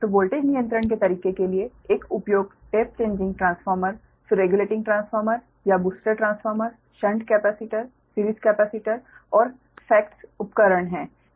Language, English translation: Hindi, so the methods for voltage control are the use of one is the tap changing transformer, then regulating transformer or booster transformer, ah, shunt capacitor, ah, series capacitor and the facts devices, right